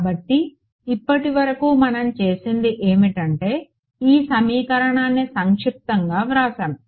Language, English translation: Telugu, So, so far what we have done is we have sort of written this equation abstractly ok